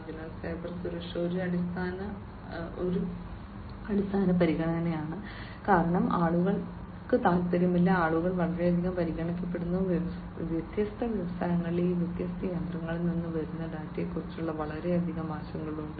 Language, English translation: Malayalam, So, cyber security is a very prime fundamental consideration, because people do not want to, people are very much considered, you know very much concerned that the data that are coming from all these different machinery in their different industries